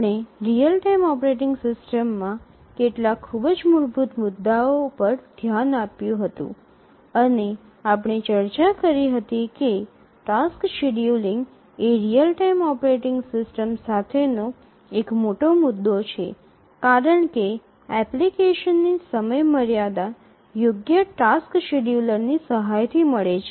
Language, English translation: Gujarati, So far we had looked at some very basic issues in real time operating systems and we had seen that task scheduling is one of the major issues with real time operating systems and we had seen that task scheduling is one of the major issues with real time operating systems